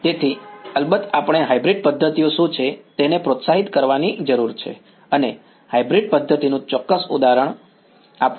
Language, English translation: Gujarati, So, of course, we need to motivate what hybrid methods are and give a particular example of a hybrid method